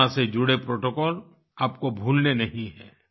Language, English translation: Hindi, You must not forget the protocols related to Corona